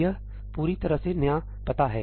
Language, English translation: Hindi, This is a completely new address